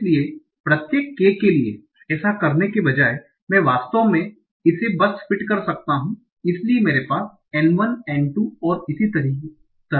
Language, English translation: Hindi, So instead of doing it for each individual K, I might actually just fit so that so I have N1, and 2 and so on